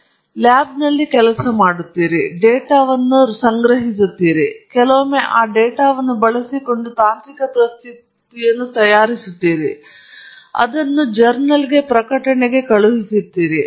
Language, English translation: Kannada, You are working in a lab, you are generating data, and sometimes you make a technical presentation using that data, sometimes you publish it a journal